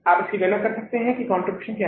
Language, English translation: Hindi, Or you can calculate this as what is a contribution